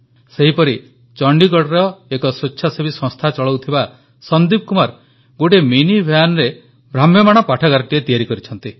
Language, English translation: Odia, In Chandigarh, Sandeep Kumar who runs an NGO has set up a mobile library in a mini van, through which, poor children are given books to read free of cost